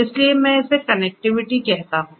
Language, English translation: Hindi, So, let me call it connectivity